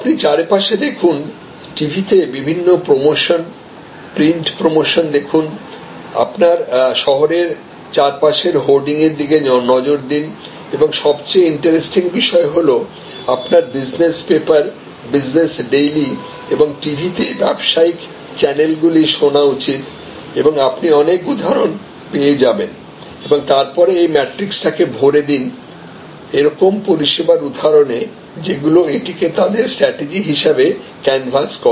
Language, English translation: Bengali, You look around, look at the various TV promotions, print promotions, look at the hoarding around you in your city and most interestingly you should look at the business papers, the business dailies and or listen to the business channels on TV and you will find number of examples and you can then present this two by two matrix populated with examples, services, service businesses who are using this as their strategy can canvas